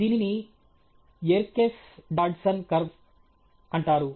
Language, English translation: Telugu, This is called Yerkes Dodson curve